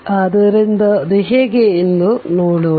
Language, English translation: Kannada, So, let us see how is it